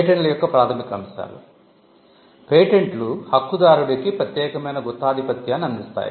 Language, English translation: Telugu, Fundamentals of Patents; patents offer an exclusive monopoly right